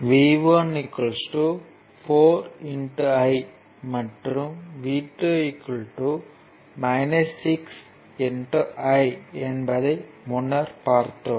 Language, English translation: Tamil, Now, v 1 is equal to 4 I we have seen earlier